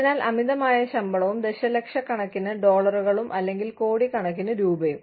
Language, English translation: Malayalam, So, you know, exorbitant amounts of salaries, and millions of dollars, or crores of rupees